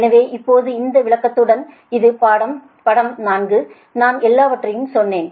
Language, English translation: Tamil, so now, with this, with this explanation, now, this is the figure four